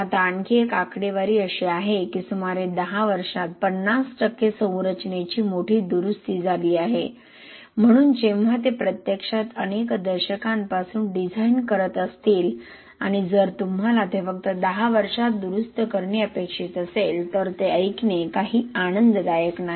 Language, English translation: Marathi, Now another statistics is 50 percent of the structure hit a repair, a major repair in about 10 years, so when they are actually designed for several decades if you are actually expected to repair them in just 10 years it is not something which is pleasing to hear